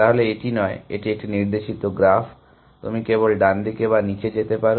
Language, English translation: Bengali, So, it is not, it is a directed graph, you can only move either to the right or down